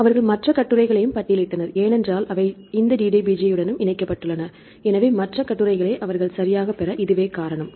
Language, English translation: Tamil, They listed other articles also, because they also linked with this DDBJ, this is the reason why they get the other articles right